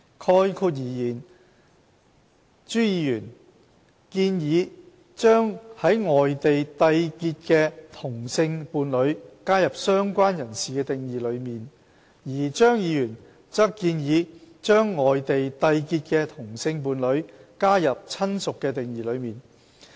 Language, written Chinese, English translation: Cantonese, 概括而言，朱議員建議把在外地締結的同性伴侶加入"相關人士"的定義當中，而張議員則建議把在外地締結的同性伴侶加入"親屬"的定義當中。, In gist Mr CHU proposes to include same - sex partnership contracted outside Hong Kong in the definition of related person while Dr CHEUNG proposes to include same - sex partnership contracted outside Hong Kong in the definition of relative